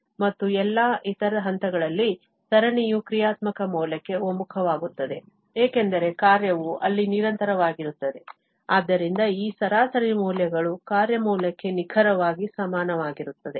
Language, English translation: Kannada, And at all other points, the series will converge to the functional value because the function is continuous there, so this average values there will be just exactly equal to the function value